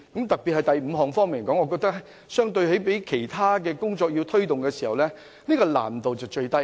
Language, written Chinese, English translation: Cantonese, 特別是第五項建議，相對推動其他工作，這項建議難度最低。, The proposal under item 5 in particular is the least difficult to implement when compared with other work